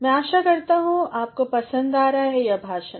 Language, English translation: Hindi, I hope you are enjoying these lectures